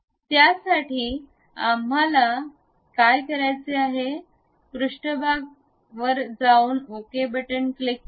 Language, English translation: Marathi, For that purpose what we have to do, click ok the surface